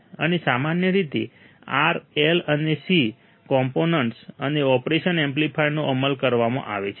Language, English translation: Gujarati, , and are usually implemented R, L and C components and operation amplifiers